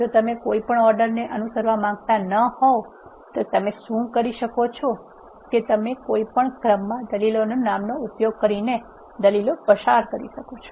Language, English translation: Gujarati, If you do not want to follow any order what you can do is you can pass the arguments using the names of the arguments in any order